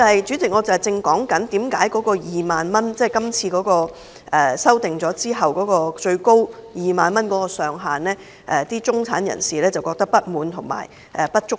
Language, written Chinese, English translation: Cantonese, 主席，我正解釋為何今次《條例草案》所訂的最高退稅上限2萬元，中產人士覺得不滿及不足夠。, President I am explaining why the middle - class people are unhappy with the tax reduction being capped at 20,000 in the current Bill and why they consider the ceiling too low